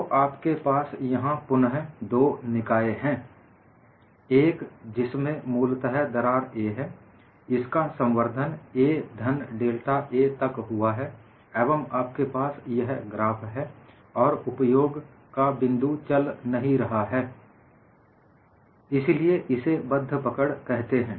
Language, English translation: Hindi, So, here, again you have two systems; one in which crack was initially a; it has propagated to a plus delta a, and you have these graphs and the point of application do not know; it is called fixed grips